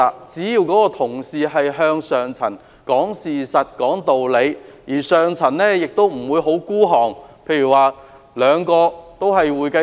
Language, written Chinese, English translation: Cantonese, 只要下層同事是向上層講事實、講道理，而上層也不應過於吝嗇，例如兩位都是會計師。, If frontline staff is willing to tell the truth and be reasonable the senior management should not be too mean